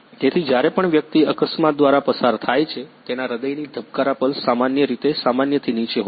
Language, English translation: Gujarati, So, that whenever person go through an accident, its heart beats pulse is basically below from the normal